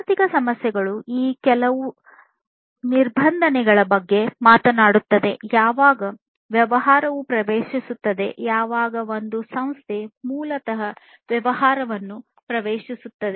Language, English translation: Kannada, So, economic issues basically talks about some of these regulations, when a business will enter, when an institution basically enters a business